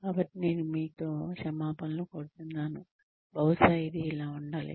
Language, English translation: Telugu, So, I apologize to you, maybe it has to be this